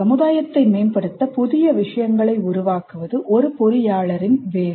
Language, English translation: Tamil, It is an engineer's job to create new things to improve society